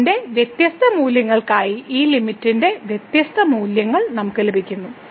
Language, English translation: Malayalam, For different values of , we are getting different value of this limit